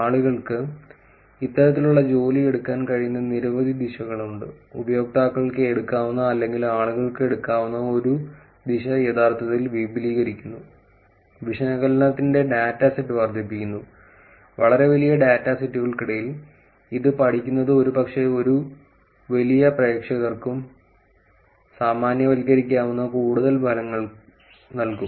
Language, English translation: Malayalam, And that are many directions that people could actually take this kind of work; one direction which users could take or people could take is actually extending, increasing the data set of the analysis itself studying it among much larger data set probably may give some more results which is generalizable to large audience also